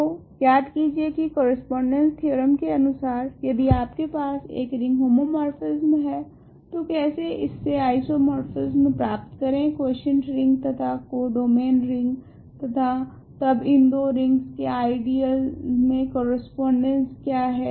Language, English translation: Hindi, So, remember correspondence theorem says that if you have a ring homomorphism this already leads to an isomorphism of rings, quotient ring and the co domain ring and then there is a correspondence of ideals in these two rings